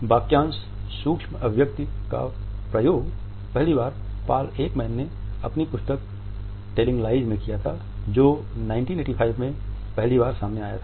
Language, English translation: Hindi, The phrase micro expressions was used for the first time by Paul Ekman in his book Telling Lies which had come out in 1985